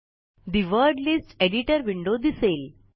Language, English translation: Marathi, The Word List Editor window appears